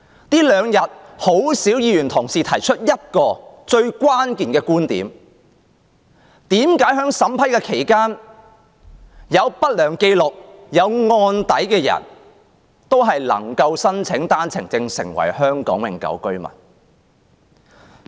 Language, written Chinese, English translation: Cantonese, 這兩天很少議員提出一個最關鍵的觀點，即為何在審批過程中，有不良紀錄或案底的內地人士也能夠申請單程證，成為香港永久性居民？, In these two days very few Members mentioned a very crucial point and that is in the process of vetting and approving the applications why can certain people with adverse records or criminal records be successful in their OWP applications and become Hong Kong permanent residents?